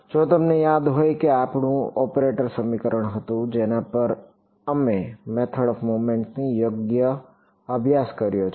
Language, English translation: Gujarati, If you remember that was our operator equation on which we have studied the method of moments right